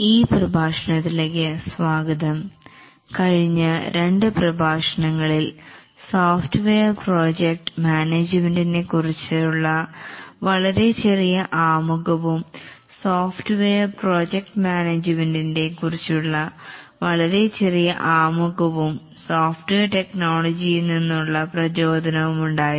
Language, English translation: Malayalam, In the last two lectures we had some very brief introduction to the software project management and also motivation for software project management